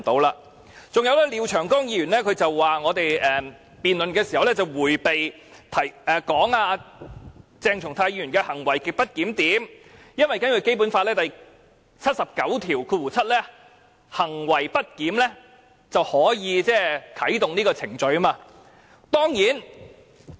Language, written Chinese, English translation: Cantonese, 廖長江議員指我們在辯論時，對於鄭松泰議員的行為極不檢點，迴避不談，因為根據《基本法》第七十九條第七項，若議員行為不檢，是可以啟動程序的。, Mr Martin LIAO alleged that we had evaded talking about Dr CHENG Chung - tais grossly disorderly conduct during the debate because under Article 797 of the Basic Law the procedure can be initiated should Members have any misbehaviour